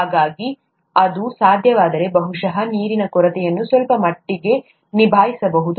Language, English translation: Kannada, So, if that can be done probably the water shortage can be handled to a certain extent